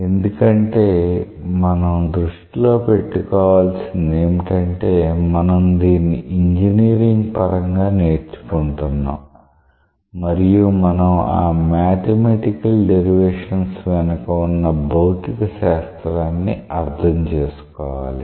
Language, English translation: Telugu, Because we have to keep in mind that after all we are trying to learn it in an engineering context and we have to understand that what physics goes behind these mathematical derivations